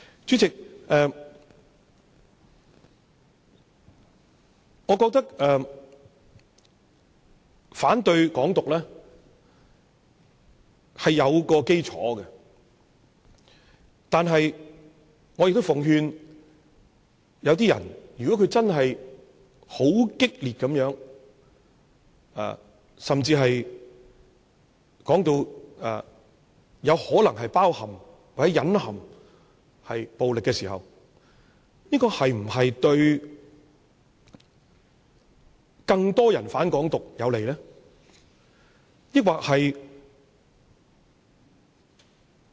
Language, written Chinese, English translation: Cantonese, 主席，我覺得反對"港獨"是有其基礎，但我也奉勸一些人，如果他真的很激烈，甚至可能包括或隱含暴力時，這是否有利於促使更多人"反港獨"？, President I think there is a basis for opposition against Hong Kong independence . However I also have a word of advice for some people . If a person is too aggressive even to the extent of inclusion or implication of violence would this be conducive to soliciting more people to oppose Hong Kong independence?